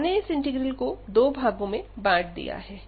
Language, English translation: Hindi, So, we have break this integer into two parts